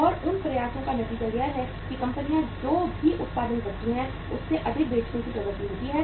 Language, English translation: Hindi, And the result of those efforts is that firms tend to sell more than whatever they produce